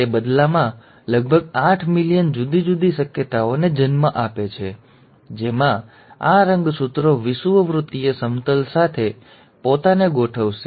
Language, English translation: Gujarati, That in turn gives rise to about eight million different possibilities in which these chromosomes will arrange themselves along the equatorial plane